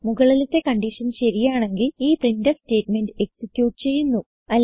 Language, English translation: Malayalam, If the condition is true then this printf statement will be executed